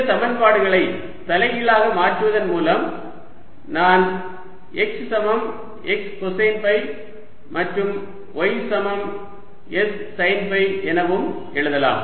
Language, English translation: Tamil, by inverting these equations i can also write x as equal to s, cosine of phi, and y is sine s, sine of phi